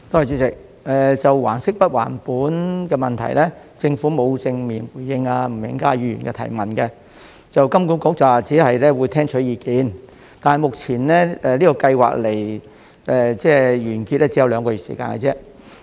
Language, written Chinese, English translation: Cantonese, 主席，就還息不還本的問題，政府沒有正面回應吳永嘉議員的質詢，金管局只表示會聽取意見，但目前這項計劃距離完結只有兩個月時間而已。, President as far as the issue of principal payment holidays is concerned the Government has not directly responded to Mr Jimmy NGs question . The Hong Kong Monetary Authority HKMA indicated only that it would listen to views but now the scheme is only two months away from expiry